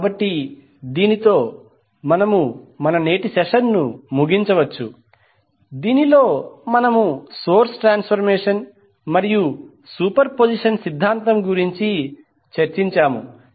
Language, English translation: Telugu, So with this, we can close our today’s session in which we discussed about the source transformation as well as superposition theorem